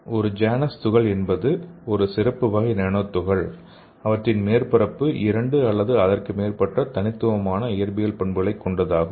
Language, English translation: Tamil, So a Janus particle means these are special types of nanoparticles whose surface have two or more distinct physical properties